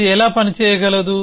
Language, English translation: Telugu, How it can operate